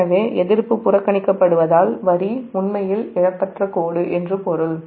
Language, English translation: Tamil, so as resistance is neglected means the line is actually lossless line